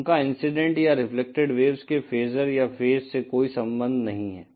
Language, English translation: Hindi, They have no relationship to the phasor or the phase of the incident or reflected wave